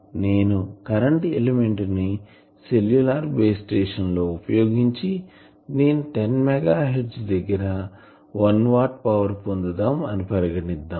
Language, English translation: Telugu, But I am considering suppose I use an current element and in a cellular base station I want to give 1 watt of power at 10 megahertz